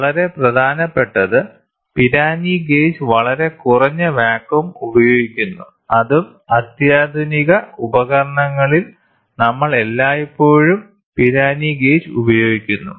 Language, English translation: Malayalam, Very important Pirani gauge is used for very low vacuum and that too in the sophisticated instruments, we always use Pirani gauge